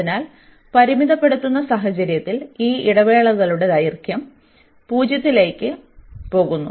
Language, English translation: Malayalam, So, in the limiting case, when these intervals the length of these intervals are going to 0